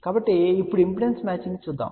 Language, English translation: Telugu, So, let us now look at the impedance matching